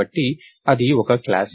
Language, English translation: Telugu, So, thats a class